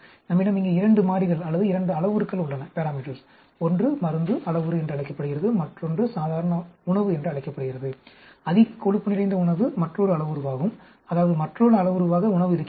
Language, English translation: Tamil, And we have two variables here or two parameters here: one is called the drug parameter, other one is called the normal diet, high fat diet that is another parameter, that is, diet as another parameter